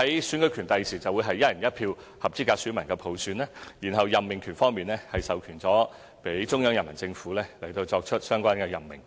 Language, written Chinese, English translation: Cantonese, 選舉權方面，將來會由合資格選民以"一人一票"普選；在任命權方面，則授權予中央人民政府作出相關任命。, As for the right to election the Chief Executive will be elected by all eligible voters on the basis of universal suffrage of one person one vote . As for the right to appointment the Central Government has the power to make relevant appointments